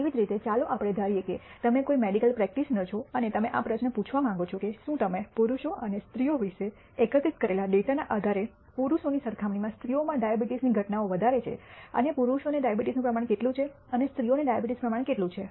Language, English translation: Gujarati, Similarly, let us assume you are a medical practitioner and you want to ask this question whether the incidence of diabetes is greater among males than females based on data that you have gathered about males and females and what proportion of males and what proportion of females have diabetes